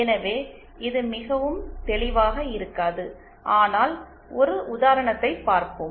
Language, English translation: Tamil, So, it might not be very clear but let us see an example